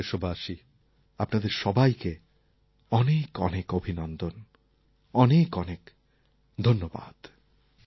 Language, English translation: Bengali, My dear fellow citizens, my heartiest best wishes to you all